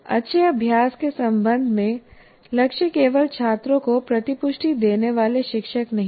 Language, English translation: Hindi, Now, with respect to good practice, the goal is not merely to give feedback to teacher giving feedback to the students